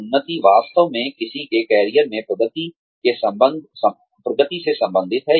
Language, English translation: Hindi, Advancement actually relates to, progression in one's career